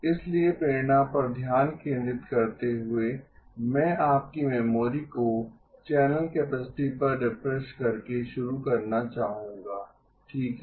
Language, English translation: Hindi, So focusing on motivation, I would like to begin by just refreshing your memory on channel capacity okay